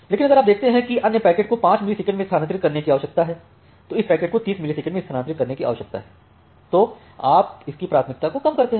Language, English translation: Hindi, But if you see that the other packets need to be transferred in 5 millisecond and this packet need to be transferred into 30 millisecond then you reduce its priority